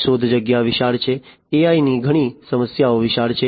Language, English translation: Gujarati, The search space is huge, the search space in AI many of the AI problems is huge